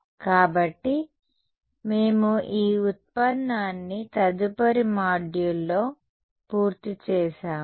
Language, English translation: Telugu, So, this we will complete this derivation in the subsequent module ok